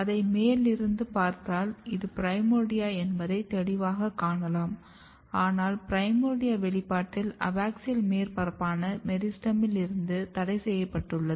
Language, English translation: Tamil, If you look the top view of it you can clearly see that this is the primordia, but in the primordia expression is only restricted away from the meristem which is your abaxial surface